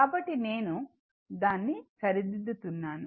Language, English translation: Telugu, So, please I am rectifying it